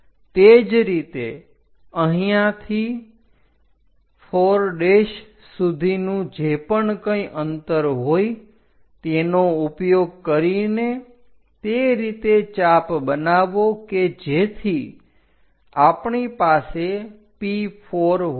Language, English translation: Gujarati, Similarly, here to 4 prime whatever distance is there make an arc such that we will have P4